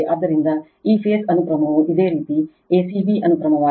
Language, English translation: Kannada, So, this phase sequence is your a c b sequence right